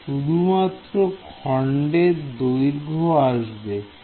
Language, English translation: Bengali, So, just the length of the segment will come